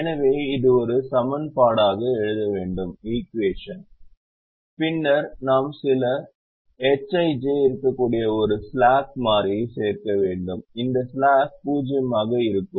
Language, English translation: Tamil, so if this is to be written as an equation, then we need to add a slack, which could be some h, i, j, and that slack will be zero